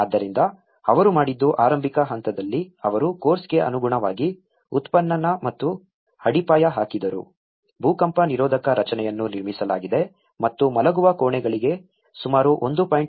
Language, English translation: Kannada, So, what they did was in the initial stage they done the excavation and laying of the foundations as per the course, the earthquake resistant structure has been built and the walls were built about sill level about 1